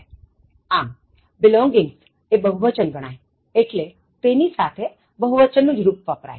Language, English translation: Gujarati, So, belongings considered plural, so are the plural form of the verb should be used